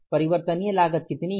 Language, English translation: Hindi, Variable cost also changes